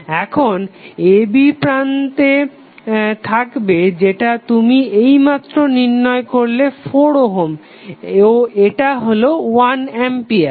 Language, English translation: Bengali, Now, you will have terminal a and b this you have just calculated equal to 4 ohm and this is 1 ampere